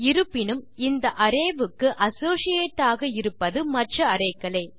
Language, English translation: Tamil, However, the associates for this array are arrays themselves